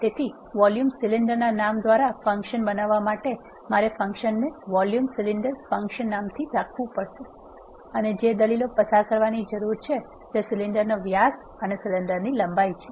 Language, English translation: Gujarati, So, to create a function by name volume cylinder I have to have the function named as volume cylinder function and the arguments that are needed to be passed are the diameter of the cylinder and the length of the cylinder